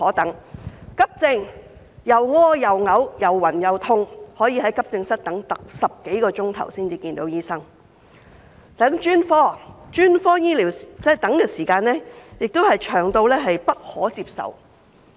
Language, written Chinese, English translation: Cantonese, 等急症，上吐下瀉、又暈又痛的病人要在急症室等候10多小時才見到醫生；等專科，專科醫療的等候時間同樣長得不可接受。, They still have to wait till the end of the world . In the Accident and Emergency Department patients suffering from vomiting diarrhoea dizziness and pain will have to wait for more than 10 hours to see a doctor . In the specialist departments the waiting time for medical care is also unacceptably long